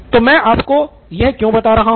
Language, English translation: Hindi, So why am I telling you this